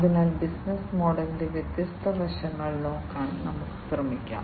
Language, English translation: Malayalam, So, let us try to look at the different aspects of the business model